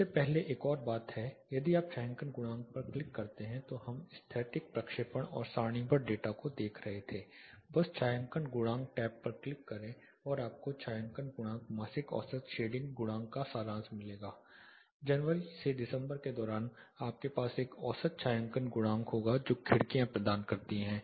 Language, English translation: Hindi, (Refer Slide Time: 15:45) There is another thing before that; we were looking at the stereographic projection and tabular data if you click on shading coefficients, just click on shading coefficient tab you will get a summary of shading coefficients monthly average shading coefficients; that is during January February up to December you will have an average shading coefficient that the windows providing